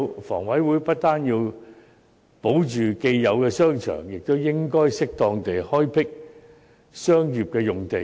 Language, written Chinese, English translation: Cantonese, 房委會不單要保留既有的商場，亦應該適當地開闢商業用地。, Not only does HA have to keep the existing shopping arcades it should also appropriately develop commercial sites